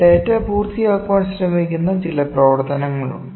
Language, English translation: Malayalam, There is some function that data is tried is trying to accomplish